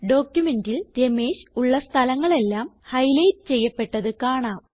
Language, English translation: Malayalam, You see that all the places where Ramesh is written in our document, get highlighted